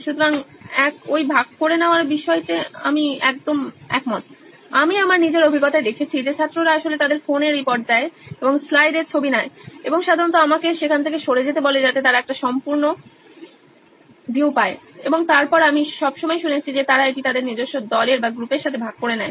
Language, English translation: Bengali, So one is the sharing part I totally agree, I have seen in my own experience that the students actually report their phones and take a picture of the slide and usually ask me to get out of the way so that they can get a view and then I always heard that they share it with their own groups